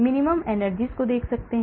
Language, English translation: Hindi, We can look at minimum energies